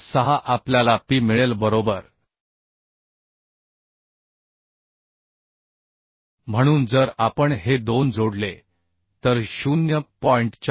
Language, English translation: Marathi, 306 we got P right So if we add these two will get 0